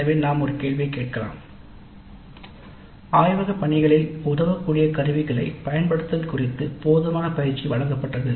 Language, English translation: Tamil, So we can ask a question, adequate training was provided on the use of tools helpful in the laboratory work